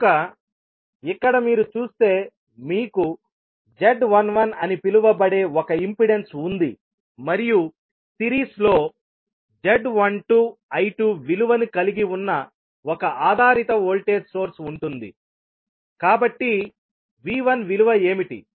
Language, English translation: Telugu, So, here, if you see you have one impedance that is called Z11 and in series with you will have one dependent voltage source that is having the value of Z12 I2, so what would be the value of V1